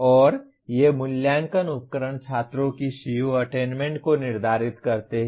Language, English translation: Hindi, And these assessment instruments determine the students’ CO attainment